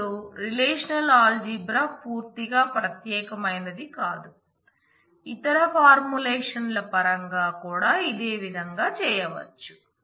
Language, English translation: Telugu, Now, relational algebra is not something totally unique the same thing can be done in terms of other formulations also